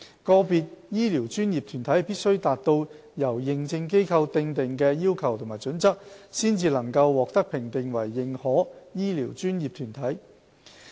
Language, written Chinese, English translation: Cantonese, 個別醫療專業團體必須達到由認證機構訂定的要求及準則，方能獲評定為"認可醫療專業團體"。, Individual health care professional bodies will only be recognized as accredited health care professional bodies should they meet the requirements and criteria set by the Accreditation Agent